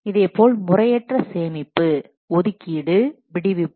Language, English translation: Tamil, Similarly, improper storage allocation and deallocation